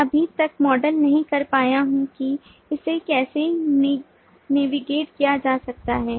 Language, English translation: Hindi, i have not been able to model as yet as to how it can be navigated